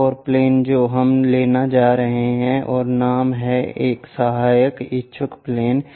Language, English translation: Hindi, One more plane we are going to take and the name is auxiliary inclined plane